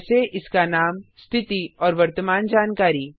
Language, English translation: Hindi, Like its name, status and current information